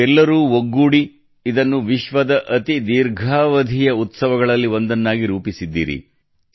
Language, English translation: Kannada, All of you together have made it one of the longest running festivals in the world